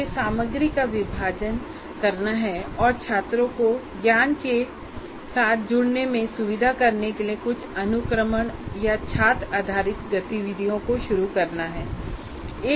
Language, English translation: Hindi, I have to do some sequencing and I have to keep intervening or in introducing student based activities for to facilitate students to get engaged with the knowledge of this and so on